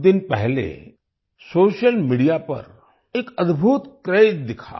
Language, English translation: Hindi, A few days ago an awesome craze appeared on social media